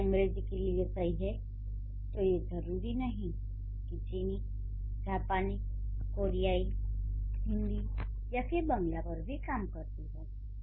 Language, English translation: Hindi, If it works for English, it doesn't mean that it will work for Chinese or for Japanese or for Korean or for Hindi or for Mangla